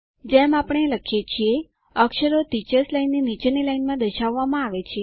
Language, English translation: Gujarati, As we type, the characters are displayed in the line below the Teachers line